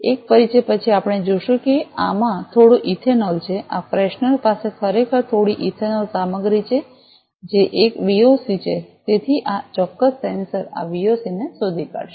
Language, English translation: Gujarati, After a introduce we will see this is having some ethanol this freshener actually has some ethanol content, which is a VOC, so this particular sensor will detect this VOC